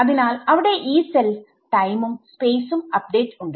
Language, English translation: Malayalam, So, there is Yee cell time and space update